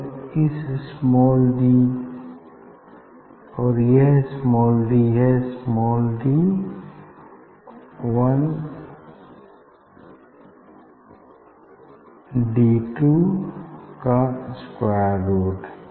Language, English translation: Hindi, you can calculate this d is square root of d 1 and d 2